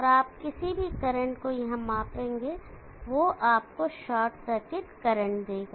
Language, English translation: Hindi, So any current that you measure here will give you the short circuit current